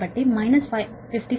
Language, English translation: Telugu, so minus five